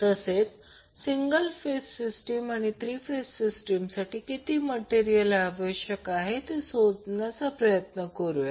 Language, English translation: Marathi, We will try to find out how much material is required to create the single phase system as well as three phase system